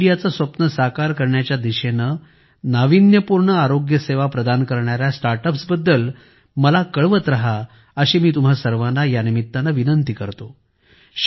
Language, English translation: Marathi, I would urge all of you to keep writing to me about innovative health care startups towards realizing the dream of Fit India